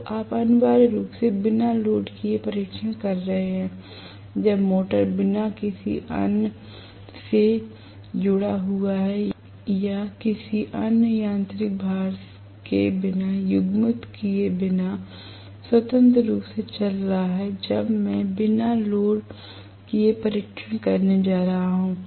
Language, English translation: Hindi, So, you are going to have essentially no load test being done when the motor is running freely without being connected to any other or coupled to any other mechanical load right, when I am going to have no load test you thing about the induction motor characteristics